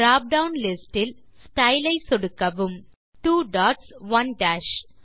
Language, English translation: Tamil, Click on the Style drop down list and select 2 dots 1 dash